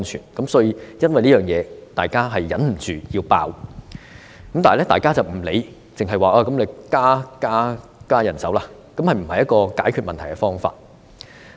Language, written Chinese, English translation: Cantonese, 為着這一點，大家忍不住要"爆"，而其他人沒有理會，只是說要增加人手，但這並不是解決問題的方法。, Because of that problem health care personnel could not help bursting with anger about the pressure . Other people do not pay attention to their situation and just say that manpower needed to be increased but this is not a solution to the problem